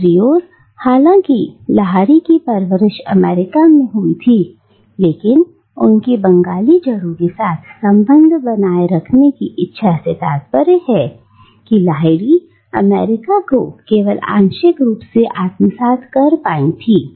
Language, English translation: Hindi, On the other hand, though Lahiri was brought up in America, her desire to keep alive her connection with her Bengali roots has meant that Lahiri could only partially assimilate herself within America